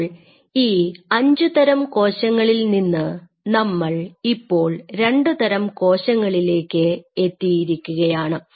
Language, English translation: Malayalam, So now from 5 cell types now you are slowly narrowing down to 2 different cell types